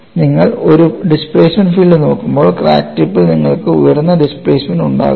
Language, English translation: Malayalam, When you look at a displacement field, can you have very high displacement at the crack tip